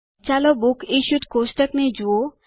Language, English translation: Gujarati, Let us look at the Books Issued table